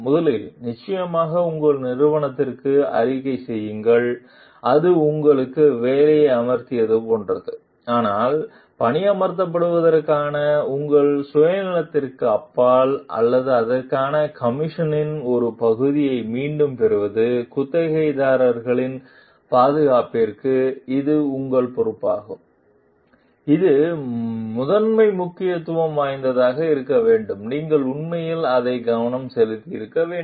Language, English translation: Tamil, First definitely report to your organization which is like hired you for it, but beyond your self interest for getting hired or repeat getting part of commission for it, it is your responsibility to the safety of the tenants which should be of primary importance and you should really focus on it